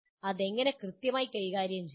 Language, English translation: Malayalam, How exactly to manage that